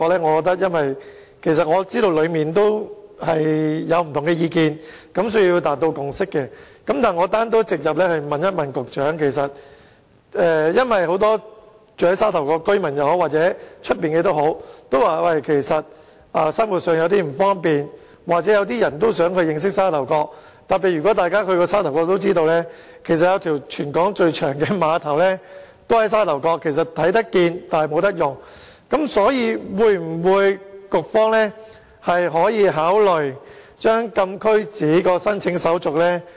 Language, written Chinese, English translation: Cantonese, 我想直接問問局長，由於有很多無論是居住在沙頭角或區外的市民均表示生活上有點不方便，又或一些人也想認識沙頭角，特別是如果大家曾到訪沙頭角也知道，該處有一個全港最長的碼頭，但卻是看得見而不能用。因此，局方可否考慮簡化禁區紙的申請手續？, I would like to ask the Secretary this direct Since many people living either in Sha Tau Kok or outside the area have expressed the view that the current arrangement is a bit inconvenient for them or as some people also wish to know more about Sha Tau Kok and particularly as Members who have visited Sha Tau Kok before will know there is a pier which is the longest in the territory but it can only be seen without being put to any use can the Bureau consider streamlining the formalities for CAP applications?